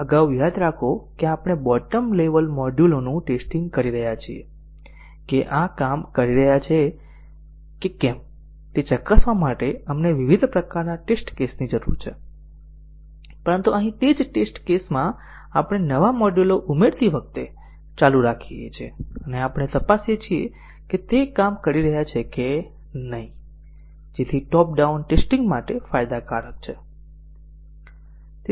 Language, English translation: Gujarati, So, earlier remember that we are testing the bottom level modules we are needing different types of test cases to check whether these are working, but here in the same test case we just keep on running with while adding new modules and we check whether those are working, so that is advantageous for top down testing